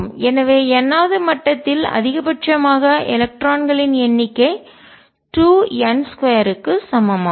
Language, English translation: Tamil, So, number of electrons maximum in the nth level is equal to 2 n square